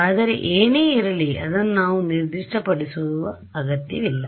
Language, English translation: Kannada, So, whatever it is we do not need to specify it